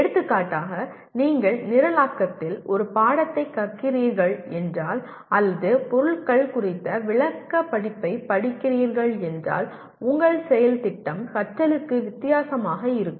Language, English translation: Tamil, For example if you are learning a course in programming or if you are studying a descriptive course on materials your plan of action will be different for learning